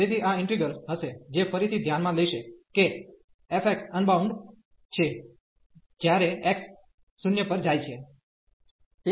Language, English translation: Gujarati, So, this will be integral, which will be considering again that f x is unbounded, when x goes to the 0